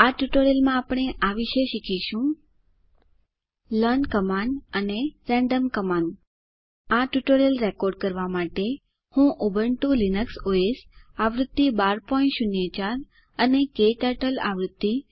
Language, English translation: Gujarati, In this tutorial, we will learn about learn command and random Command To record this tutorial I am using, Ubuntu Linux OS version